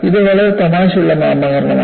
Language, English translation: Malayalam, You know, it is a very funny nomenclature